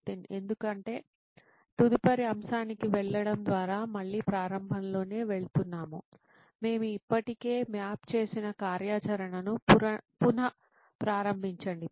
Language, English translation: Telugu, Because by moving on to next topic is again going through the starting, restarting the activity that we have already mapped